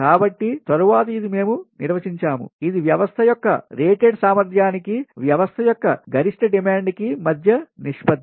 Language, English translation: Telugu, so later, ah, this this is we define, that is the ratio of the maximum demand of a system to the rated capacity of the system